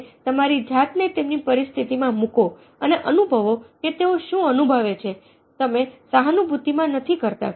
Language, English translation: Gujarati, you place yourself in their shoes and feel what their feeling, which is what you do not do in sympathy